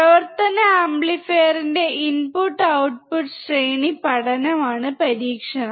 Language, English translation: Malayalam, The experiment is to study input and output range of operational amplifier